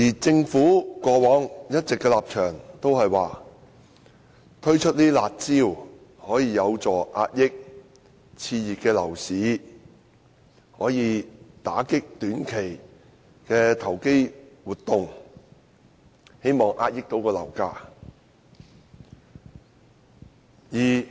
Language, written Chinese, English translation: Cantonese, 政府過往的立場一直是推出"辣招"遏抑熾熱的樓市，打擊短期投機活動，以期遏抑樓價。, The Government has all along adopted the stance of introducing curb measures to contain the red - hot property market and dampen short - term speculative activities so as to contain property prices